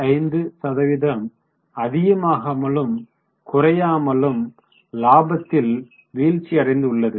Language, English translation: Tamil, So, 65% more or less fall in the profit